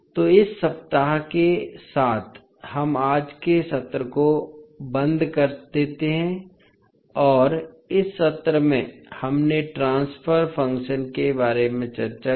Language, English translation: Hindi, So, with this week cab close over today's session and this session we discuss about the transfer function